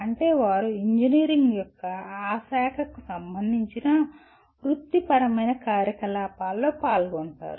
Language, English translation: Telugu, That means they are involved in professional activities related to that branch of engineering